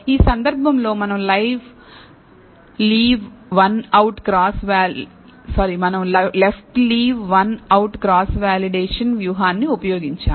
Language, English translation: Telugu, In this case, we have used left Leave One Out Cross Validation strategy